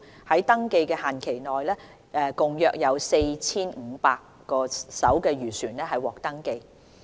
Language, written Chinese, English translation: Cantonese, 在登記限期內，共約有 4,500 艘漁船獲登記。, During the registration period about 4 500 fishing vessels were registered